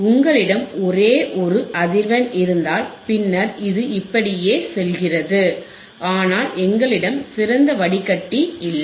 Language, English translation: Tamil, If you have only one frequency, only one frequency then it goes like this right, but we have, we do not have ideal filter we do not have ideal filter